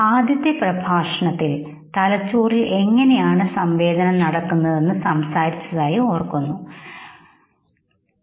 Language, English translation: Malayalam, You remember we had talked about know how sensation is carried in the brain in the first lecture and we started on perception